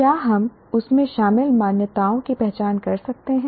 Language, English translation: Hindi, Can we identify the assumptions involved in that